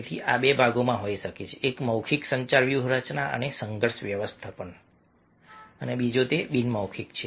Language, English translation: Gujarati, one is verbal, communication strategies and for conflict management, and other one is that nonverbal